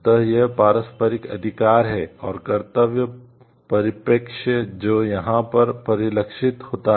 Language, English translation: Hindi, So, the it is the mutual rights and the duty is perspective which is reflected over here